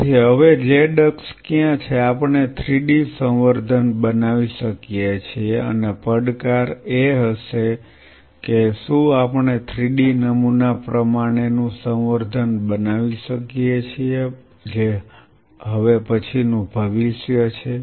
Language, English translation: Gujarati, So, where is the z axis now could we make a 3 D culture and the challenge will be could we make a 3D pattern culture that is where the future is